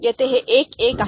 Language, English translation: Marathi, Here it is 1 1, ok